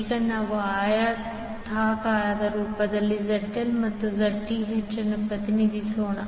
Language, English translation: Kannada, Now, let us represent ZL and Zth in rectangular form